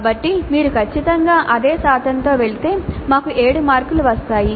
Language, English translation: Telugu, So if you go strictly by the same percentage then we get 7 marks